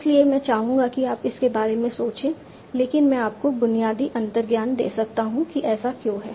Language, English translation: Hindi, So I'd like you to think about it, but I can give you a basic intuition that why this is the case